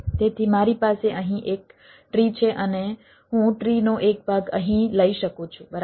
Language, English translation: Gujarati, so i have a tree here and i can have a part of the tree out here